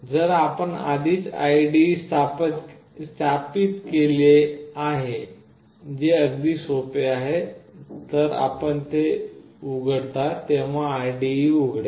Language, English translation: Marathi, When you have already done with installing the IDE which is fairly very straightforward, then when you open it the IDE will open as like this